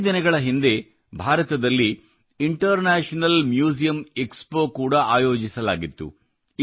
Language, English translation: Kannada, A few days ago the International Museum Expo was also organized in India